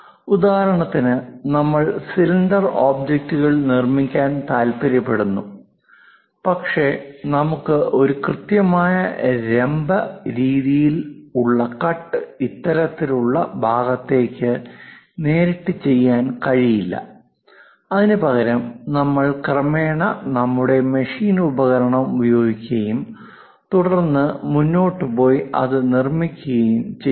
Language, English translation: Malayalam, For example, like you want to make a cylindrical objects, but we cannot straight away jump into this kind of portion like a perfect vertical cut and jump there instead of that, we gradually use our machine tool and then go ahead construct that